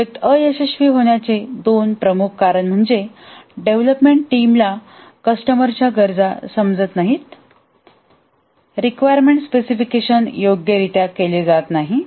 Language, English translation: Marathi, Two major reasons why the project fails is that the development team doesn't understand the customer's requirements